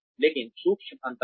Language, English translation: Hindi, But, there are subtle differences